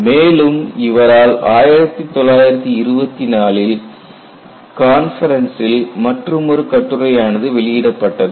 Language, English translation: Tamil, There was also another paper published in a conference in 1924